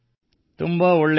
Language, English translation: Kannada, That is nice